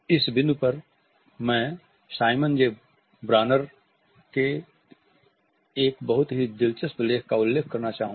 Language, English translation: Hindi, At this point I would like to refer to a very interesting article by Simon J